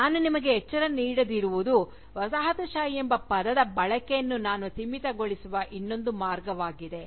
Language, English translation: Kannada, What I had not alerted you to, is the other way in which, I was limiting the use of the term, Colonialism